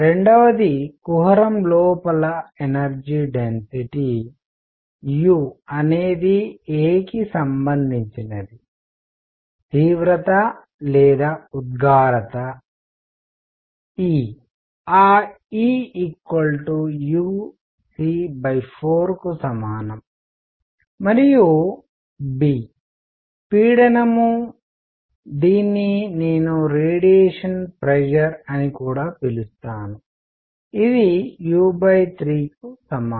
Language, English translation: Telugu, Number 2; the energy density u inside the cavity is related to a; intensity or emissivity; E as equal to as E equal u c by 4 and b; pressure which I will also call a radiation pressure is equal to u by 3